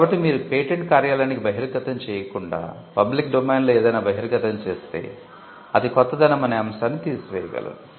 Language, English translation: Telugu, So, if you make any disclosure into the public domain, without first disclosing to the patent office then it can kill the first aspect